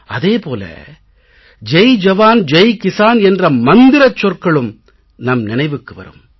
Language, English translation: Tamil, It is also but natural that we remember his slogan 'Jai Jawan Jai Kisan'